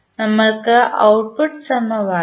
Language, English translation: Malayalam, So, what is the output equation